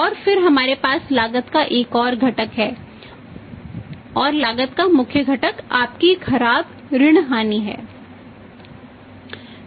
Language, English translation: Hindi, And then we have another component of the cost and that and the main component of the cost is that your bad debt losses